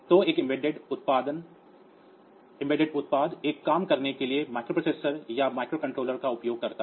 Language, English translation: Hindi, So, an embedded product uses microprocessor or microcontroller to do 1 task on